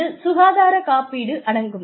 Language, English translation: Tamil, So, they include health insurance